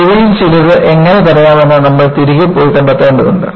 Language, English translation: Malayalam, You will have to go back and find out, how you can prevent some of the risk